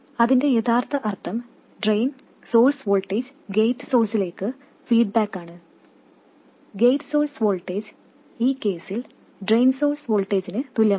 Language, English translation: Malayalam, What it really means is that the Drain Source voltage is fed back to the gate source voltage, the gate source voltage equals the drain source voltage in this case